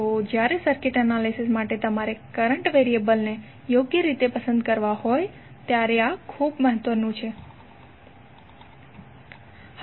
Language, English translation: Gujarati, So this is very important when you have to choice the current variables for circuit analysis properly